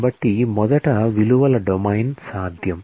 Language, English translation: Telugu, So, first the domain of possible values